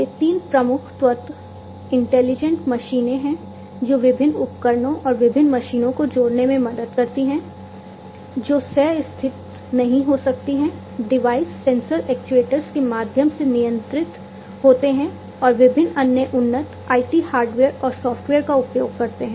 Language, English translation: Hindi, So, these are the three key elements intelligent machines that help connect different devices and different machines, which may not be co located the devices are controlled through sensors actuators and using different other advanced IT hardware and software